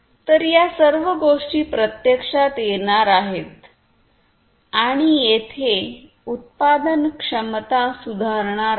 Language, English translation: Marathi, So, all of these things are going to be come in come in place and there is going to be the improved productivity